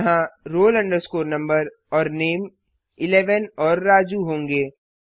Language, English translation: Hindi, Here, roll number and name will be initialized to 11 and Raju